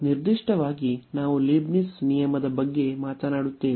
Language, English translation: Kannada, So, this was the direct application of the Leibnitz rule